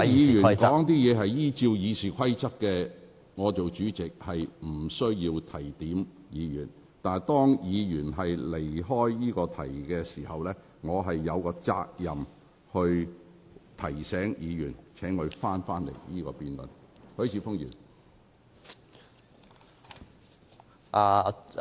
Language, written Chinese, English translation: Cantonese, 如果議員依照《議事規則》發言，我無須提點議員，但當議員離題時，我身為主席便有責任提醒議員須針對議題發言。, I will not need to remind Members if they speak in accordance with the Rules of Procedure . But when a Member digresses from the topic of debate I must discharge my duty as the President of this Council and remind the Member to focus on the debate topic